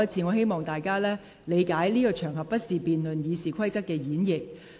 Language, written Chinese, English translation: Cantonese, 我希望大家理解，這不是辯論《議事規則》演繹的適當場合。, I hope Members will understand that this is not a proper occasion to debate the interpretation of RoP